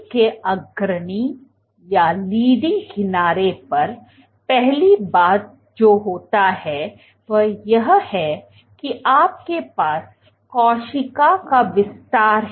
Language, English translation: Hindi, So, at the leading edge of the cell, this is the leading edge, first thing which happens is you have elongation of the cell